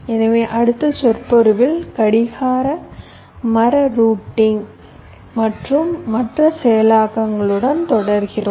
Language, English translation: Tamil, so we continue with other implementations of clock tree routing in our next lecture